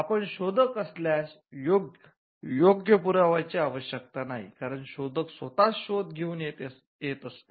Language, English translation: Marathi, If you are inventor, there is no need for a proof of right, because, the inventor itself came up with the invention